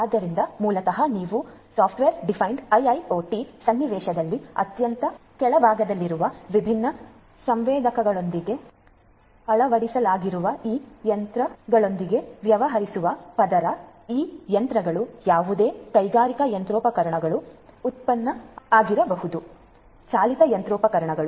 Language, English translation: Kannada, So, basically what you have in a software defined IIoT scenario at the very bottom is the layer which deals with these machines which are fitted with the different sensors, this is your machines, these machines could be any industrial machinery, manufacturing machinery, powered machinery and so on